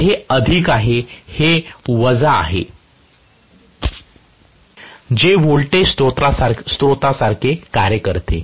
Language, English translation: Marathi, So, this is plus, and this is minus which is working like a voltage source